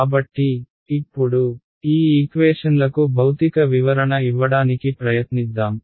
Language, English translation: Telugu, So, now, let us just try to give a physical interpretation to these equations